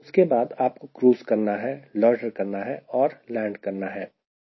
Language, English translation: Hindi, then you have to crew out and then loiter and land right